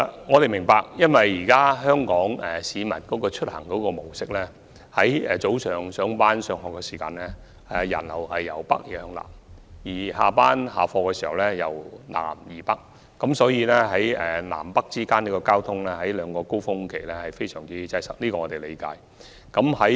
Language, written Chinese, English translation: Cantonese, 我們明白到，香港市民的出行模式，是早上上班及上學時人流由北向南，而傍晚下班及下課時人流則由南向北，所以南北之間的交通在這兩個高峰期非常擠塞，我們是理解的。, Insofar as we understand the travel patterns of the Hong Kong public the direction of the passenger flow in the morning rush hour is from north to south while that in the evening rush hour is from south to north . Therefore we can appreciate why the traffic between the north and the south is very congested during these two peak hours